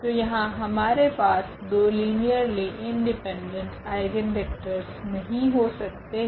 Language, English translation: Hindi, So, here we cannot have two linearly independent eigenvector